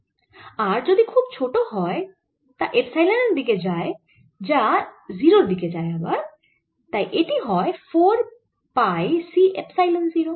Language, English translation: Bengali, if r is very small, r going to epsilon, which is going to zero, this goes four pi c epsilon zero